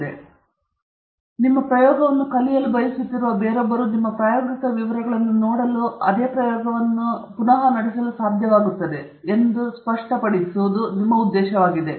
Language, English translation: Kannada, Again, the intention is to make it clear enough that somebody else who wants to learn your experiment should be able to look at your experimental details and run a similar experiment